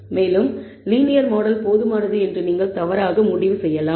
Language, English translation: Tamil, And you may conclude incorrectly conclude that the linear model is adequate